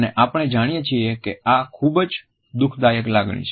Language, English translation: Gujarati, And as all of us understand it is one of the most distressing emotions